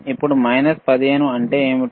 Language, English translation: Telugu, Now, what is minus 15